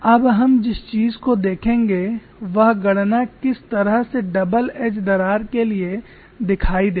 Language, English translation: Hindi, Now we will look at the calculation for a double edge crack